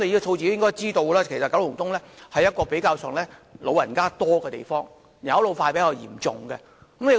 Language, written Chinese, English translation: Cantonese, 局長應知道九龍東的人口以長者居多，是人口老化較嚴重的地區。, The Secretary should know that the population in Kowloon East is mainly elderly people and the ageing problem there is relatively serious